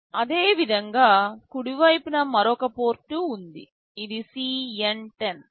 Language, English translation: Telugu, Similarly, on the right side there is another port this is CN10